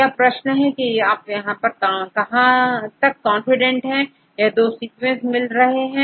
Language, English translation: Hindi, Now, the question is how far you are confident that these two are close to each other